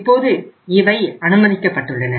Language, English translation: Tamil, Now they are allowed